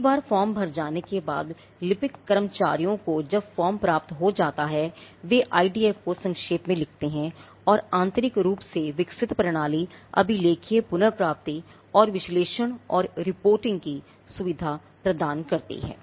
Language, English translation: Hindi, And once the form is filled the clerical staff receives the form, they docket the IDF and they internally developed system that facilitates archival retrieval and analysis and reporting